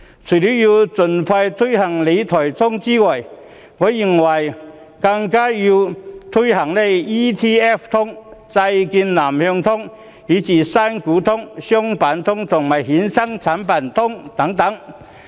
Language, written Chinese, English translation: Cantonese, 除了要盡快推行理財新思維，我認為更要推行 ETF 通，債券南向通、新股通、商品通，以及衍生產品通等。, Apart from taking forward expeditiously the new fiscal philosophy we also have to launch the Exchange Traded Fund ETF Connect Southbound Trading of Bond Connect Primary Equity Connect Commodities Connect and the market connectivity for derivatives etc